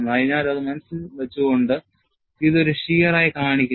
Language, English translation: Malayalam, So, keeping that in mind, it is shown as a shear